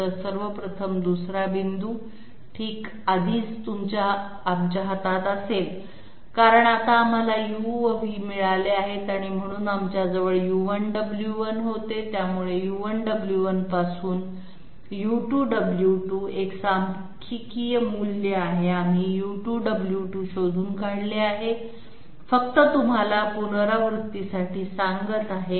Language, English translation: Marathi, 1st of all, if the 2nd point okay 2nd point we already have in our hand because now we have found out Delta u and Delta v and therefore we have a numerical value of U2 W2 from U1 W1, so we were at U1 W1, we have found out U2 W2 just to make you recapitulate part